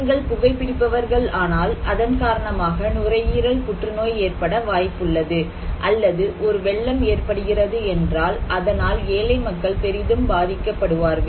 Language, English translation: Tamil, And then we have some risk, like if you smoke, you are endangering yourself with a lung cancer, or if there is a flood, poor people is affected, vulnerable people would be affected